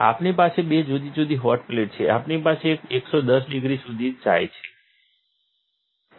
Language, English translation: Gujarati, We have two different hot plates, we have one that goes to 110 degrees